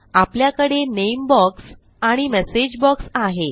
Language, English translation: Marathi, We have our name box and our message box